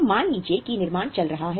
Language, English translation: Hindi, So, suppose building is under construction